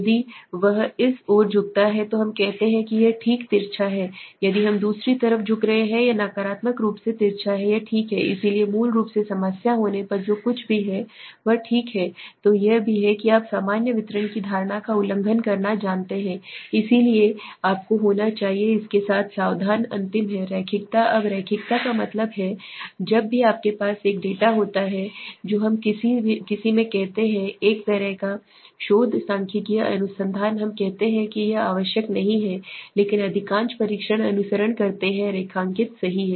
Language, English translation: Hindi, If he is tilting to this side we say it is positively skewed okay if it is tilting to the other side we say it is negatively skewed it is okay, so basically whatever it is if there is a problem of normality then it is also you know violating the assumption of the normal distribution so you have to be careful with it, the last is linearity now linearity means whenever you have a data we say in any kind of a research statistical research we say the it is not necessary but most of the tests follow the linearity right